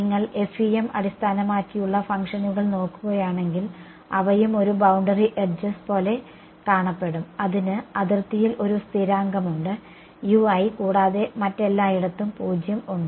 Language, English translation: Malayalam, If you look at the FEM basis functions they also if I think look at just a boundary edges it is also like that right it has a constant U i on the boundary and its 0 everywhere else